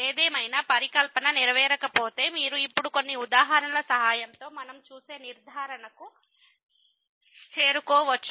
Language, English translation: Telugu, However, if the hypothesis are not met then you may or may not reach the conclusion which we will see with the help of some examples now